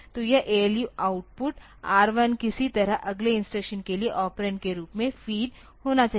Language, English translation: Hindi, So, this ALU output R 1 should somehow be fade as the operand for the next instruction